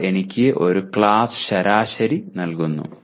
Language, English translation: Malayalam, They give me one class average